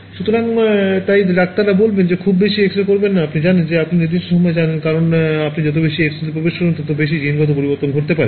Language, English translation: Bengali, So, that is why doctors will say do not get too many X rays done you know you know given period of time, because the more you expose to X rays the more the genetic mutation can happen